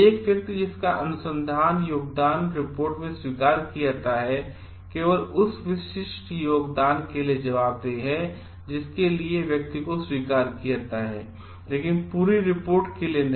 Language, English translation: Hindi, A person whose research contribution is acknowledged in the report is only accountable for the specific contribution for which the person is acknowledged not for the whole report